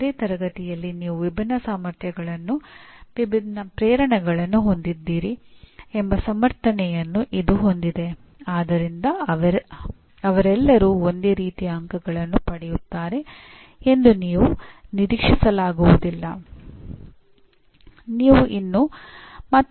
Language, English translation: Kannada, This has a justification that in any class you have students of different abilities, different motivations, so you cannot expect all of them to have roughly the same kind of marks